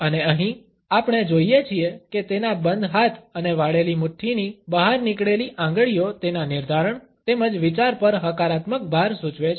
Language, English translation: Gujarati, And here, we find that his closed hands and fist with a protruding finger, suggest his determination as well as a positive emphasis on the idea